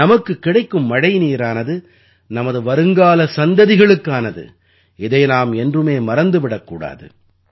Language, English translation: Tamil, The rain water that we are getting is for our future generations, we should never forget that